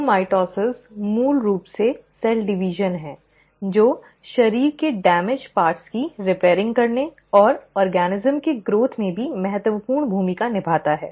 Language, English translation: Hindi, So mitosis is basically the cell division which plays an important role in repairing the damaged parts of the body and also in the growth of the organism